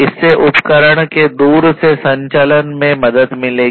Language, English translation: Hindi, So, basically this will help in operating instruments remotely